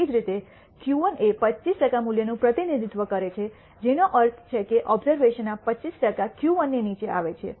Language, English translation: Gujarati, Similarly, Q 1 represents the 25 percent value which means 25 percent of the observations fall below Q 1